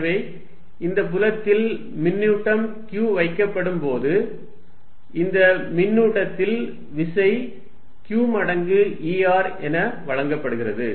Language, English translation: Tamil, So, that when charge q is put in this field, the force on this charge is given as q times E r